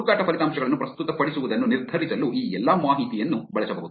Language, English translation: Kannada, All of this information can be used to actually decide on presenting the search results